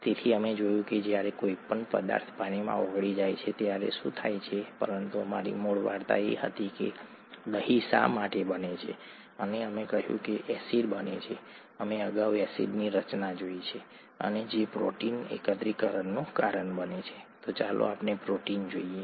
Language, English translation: Gujarati, So we looked at what happens when a substance dissolved in, is gets dissolved in water, but our original story was why curd forms and we said acid formation, we saw acid formation earlier, and which causes protein aggregation, so let us look at protein aggregation